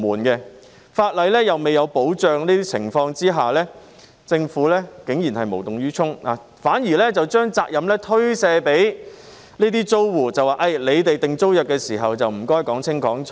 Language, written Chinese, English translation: Cantonese, 在法例未有保障的情況下，政府竟然無動於衷，反而將責任推卸給租戶，請他們訂定租約時說清楚。, Under the circumstances when protection is not provided by the law the Government remaining indifferent passes the buck to tenants by asking them to clarify by themselves when entering into a tenancy agreement